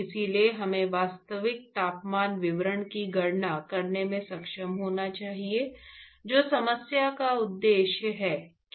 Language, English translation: Hindi, So, therefore, we should be able to calculate the actual temperature distribution, which is the objective of the problem that that problem at hand right